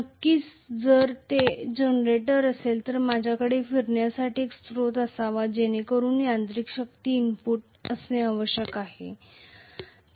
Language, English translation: Marathi, Of course, if it is a generator I should have a source for rotation so mechanical power has to be input